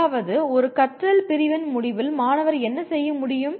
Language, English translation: Tamil, That means what should the student be able to do at the end of a learning unit